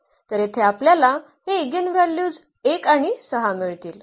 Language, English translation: Marathi, So, here we get these eigenvalues as 1 and 6